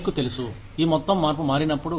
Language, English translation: Telugu, You know, when this whole change shifts up